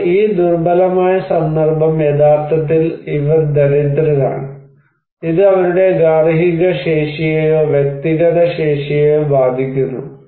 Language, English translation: Malayalam, Now, this vulnerability context actually, this is the poor people and is affecting their household capacity or their own individual capacity